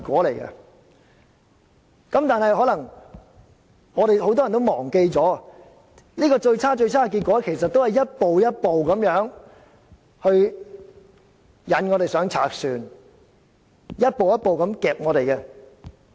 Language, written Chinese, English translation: Cantonese, 但是，很多人可能忘記了，這最差的結果其實是一步一步地引我們上賊船，一步一步地脅迫我們而達致的。, But many people may have forgotten that this worst outcome was actually achieved by luring us to board a pirate ship step by step and subjecting us to duress and intimidation step by step